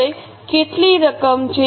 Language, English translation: Gujarati, Now how much is the amount